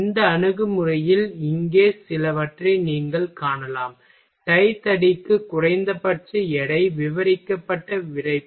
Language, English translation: Tamil, In this approach here you can see that for some for example, for tie rod minimum weight is stiffness described